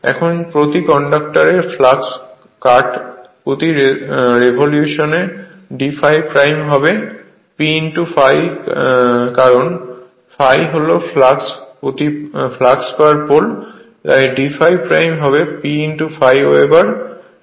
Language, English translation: Bengali, Now flux cut per your conductor in one revolution will be d phi dash will be P into phi right, because phi is flux per pole, so d phi dash will be P into phi Weber right